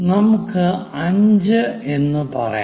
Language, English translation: Malayalam, So, let us do that it 5